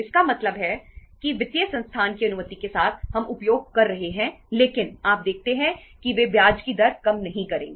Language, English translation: Hindi, It means that with the permission of the financial institution we are utilizing but you see they wonít reduce the rate of interest